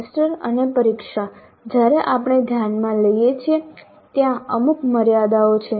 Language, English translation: Gujarati, Now the semester end examination when we consider, there are certain limitations